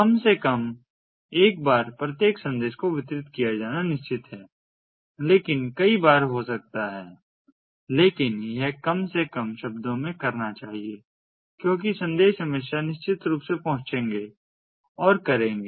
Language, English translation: Hindi, at least once each message is certain to be delivered, but may do so multiple times, but it it should do at least words exactly once